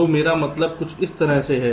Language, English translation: Hindi, so what i means is something like this